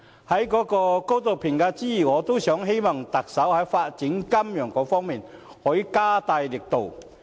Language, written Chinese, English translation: Cantonese, 此外，我希望特首在發展金融方面可以加大力度。, Moreover I hope the Chief Executive can put in more efforts in the development of financial sector